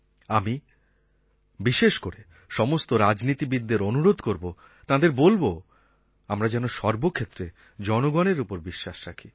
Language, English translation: Bengali, I would like to specially appeal to the entire political class to place implicit faith in the people